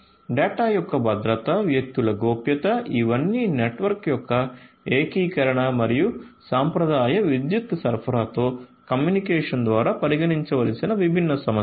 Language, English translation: Telugu, So, security of the data privacy of the individuals so, these are all different different issues that will have to be considered through the integration of network and communication with the traditional power supply